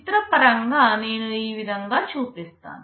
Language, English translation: Telugu, Pictorially I show it like this